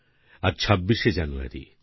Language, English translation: Bengali, Today is the 26th of January